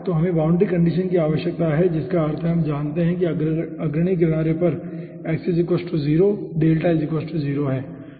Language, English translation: Hindi, so we need the boundary condition means we know that x equals to 0, delta equals to 0 at the leading edge